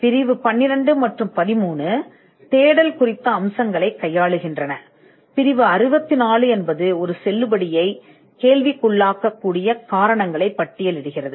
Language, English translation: Tamil, Now section 12 and 13 deals with aspects of search aspects of validity are dealt in section 64, which lists the grounds on which a validity can be questioned